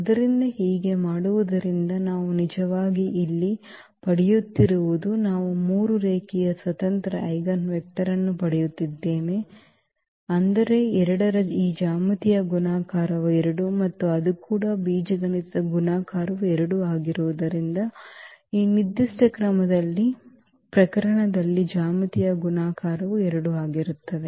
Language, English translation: Kannada, So, by doing so what we are actually getting here we are getting 3 linearly independent eigenvector meaning this geometric multiplicity of 2 is 2 and also it is; as the algebraic multiplicity is 2, also the geometric multiplicity in this particular case is coming to be 2